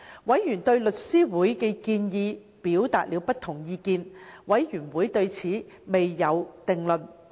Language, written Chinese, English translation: Cantonese, 委員對香港律師會的建議表達了不同意見，事務委員會對此未有定論。, Members expressed various views to The Law Societys proposal and a conclusion had not yet been drawn by the Panel